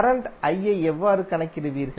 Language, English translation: Tamil, Then how you will calculate the current